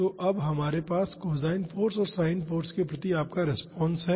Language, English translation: Hindi, So, now we have the response to you to cosine force and sin force